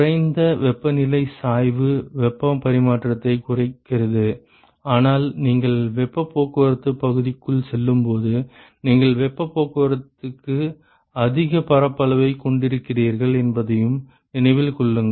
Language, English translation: Tamil, Lesser the temperature gradient lesser the heat transfer, but keep in mind that you are also as you go through inside the area of heat transport is also you are having higher area for heat transport right